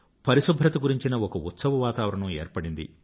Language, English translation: Telugu, A festive atmosphere regarding cleanliness got geared up